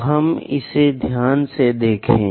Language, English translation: Hindi, So, let us look at it carefully